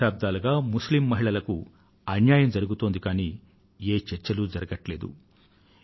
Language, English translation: Telugu, For decades, injustice was being rendered to Muslim women but there was no discussion on it